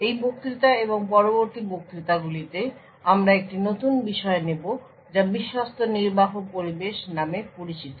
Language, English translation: Bengali, In this lecture and other lectures that follow we will take a new topic know as Trusted Execution Environments